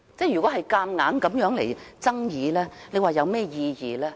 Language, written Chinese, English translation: Cantonese, 如此牽強的爭議又有何意義呢？, What is the point of putting forth such far - fetched arguments?